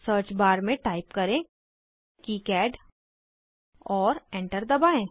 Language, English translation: Hindi, In the search bar type KiCad and press Enter